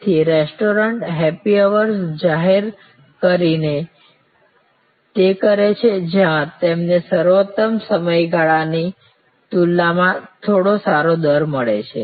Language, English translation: Gujarati, So, restaurants off an do it by declaring happy hours, where the lean period you get some better rate compare to the peak period